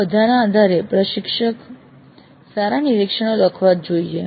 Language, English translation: Gujarati, Based on all these the instructor must write the summary observations